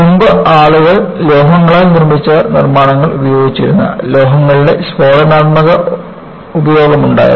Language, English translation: Malayalam, So, earlier, people were not using constructions made of metals, there was an explosive use of metals